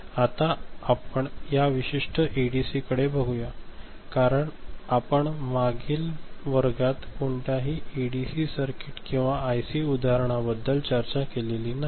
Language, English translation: Marathi, Now, we look at one particular ADC, because we have not discussed any ADC circuit, IC example in the previous classes